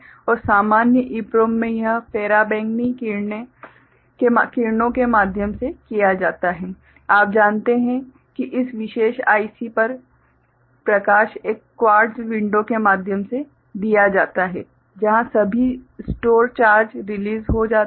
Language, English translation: Hindi, And in normal EPROM it is done through ultraviolet you know light impinging on this particular IC through a quartz window where all stored charges get released ok